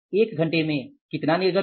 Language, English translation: Hindi, In one hour of how much is output